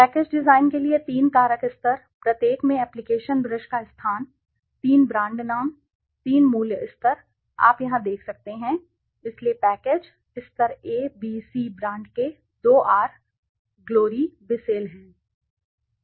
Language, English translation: Hindi, The three factor levels for package design, in each one deferring the location of the applicator brush, three brand names, three price levels, you can see here, so the package, the levels are A B C brand K2R, Glory, Bissell